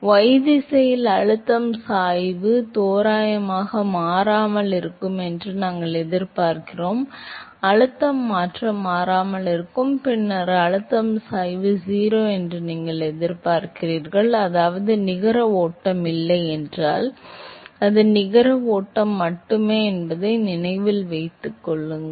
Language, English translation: Tamil, So, we expect that the pressure gradient in the y direction approximately remains constant, the pressure change remains constant then you expect that the pressure gradient is 0, which means that there is no net flow remembers that it is only a net flow